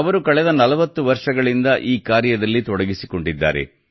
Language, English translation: Kannada, He has been engaged in this mission for the last 40 years